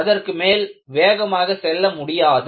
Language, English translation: Tamil, It cannot go faster than that